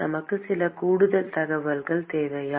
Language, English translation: Tamil, Do we need some additional information